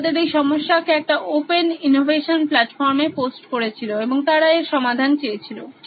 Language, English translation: Bengali, They posted a problem on an open innovation platform and they wanted to solve this problem, okay